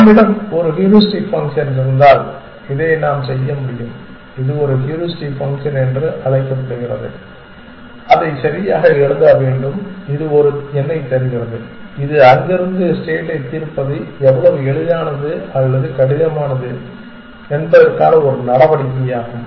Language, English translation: Tamil, If we have a heuristic function then we can, this is called a heuristic function is should write it right, it returns a number which is a measure of how easy or hard it is to go solve the state from there essentially